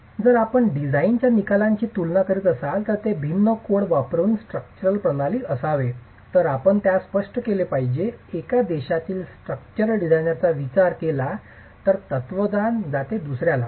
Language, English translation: Marathi, So, if you're comparing the outcomes of the design, which would be the structural system, using different codes, you have to be clear of the philosophy that is adopted as far as the structural design is concerned from one country to another